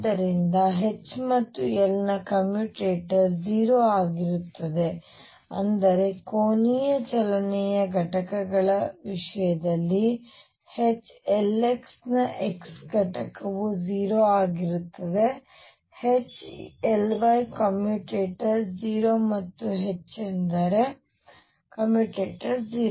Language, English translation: Kannada, So, commutator of H and L is going to be 0 what that means, in terms of components of angular movement of H L x the x component of L will be 0 H L y commutator would be 0 and H is that commutator would be 0